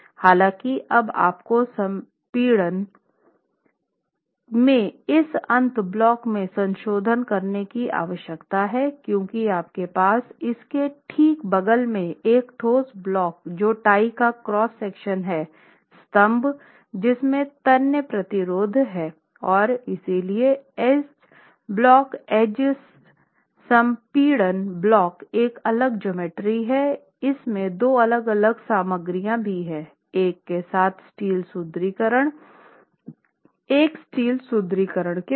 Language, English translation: Hindi, However, now you need to make a modification to this end block in compression because you have right beside it a concrete block which is the cross section of the Thai column which has tensile resistance and therefore the edge block, the edge compression block is a different geometry geometry and also has two different materials with one with steel reinforcement and one without steel reinforcement